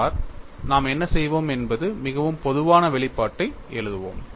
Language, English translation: Tamil, See, what we will do is we will write a very generic expression